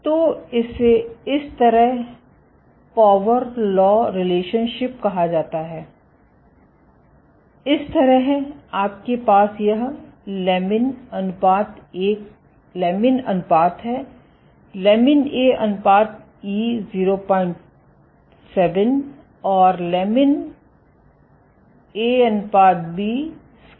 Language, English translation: Hindi, So, this is called the power law relationship similarly, so you have this lamin ratio, lamin A ratio scales as e to the power 0